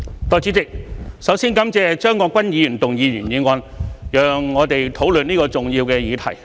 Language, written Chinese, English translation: Cantonese, 代理主席，首先感謝張國鈞議員動議原議案，讓我們可討論這個重要的議題。, Deputy President first of all I thank Mr CHEUNG Kwok - kwan for moving the original motion so that we can have a discussion on this significant topic